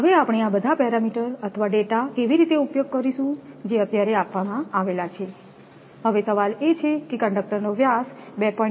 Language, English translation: Gujarati, So, how we will do this all the parameters or data whatever is given now question is that, r is; your diameter of the conductor is given 2